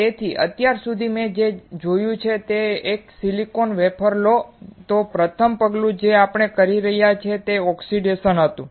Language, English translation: Gujarati, So, until now what we have seen is that if you take a silicon wafer the first step that we were performing was oxidation